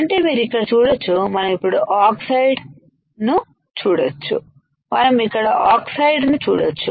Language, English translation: Telugu, So, you can see here we can see now oxide we can see here oxide